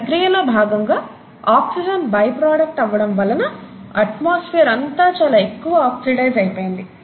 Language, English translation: Telugu, And in the process of this, oxygen became a by product and as a result the atmosphere becomes highly oxidized